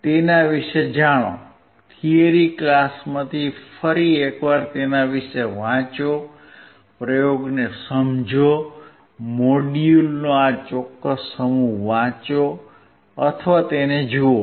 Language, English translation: Gujarati, Learn about it, read about it once again from the theory class, understand the experiment, read this particular set of module or look at it